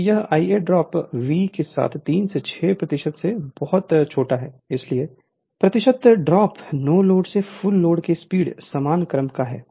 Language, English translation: Hindi, So, this I a r a drop is very small about 3 to 6 percent of V therefore, the percentage drop is speed from no load to full load is of the same order right